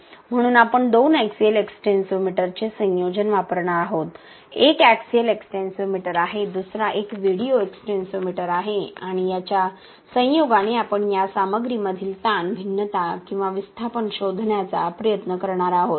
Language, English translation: Marathi, So, we will be using a combination of two axial extensometer one is axial extensometer, another one is a video extensometer and with combination of this we will be trying to find the strain variation or the displacement in this material with respect to the load acting on the element